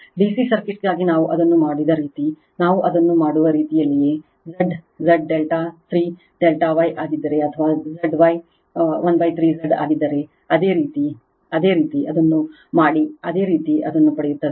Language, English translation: Kannada, The way we have made it for DC circuit, same way we do it; you will get Z if Z delta is will be 3 Z Y right or Z Y will be 1 by 3 Z delta same way you do it, you will get it right